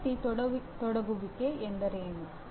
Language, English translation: Kannada, What is student engagement